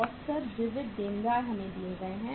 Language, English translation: Hindi, Average sundry debtors we are given